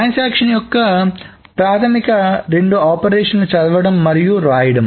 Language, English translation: Telugu, So these are the two basic operations of read and write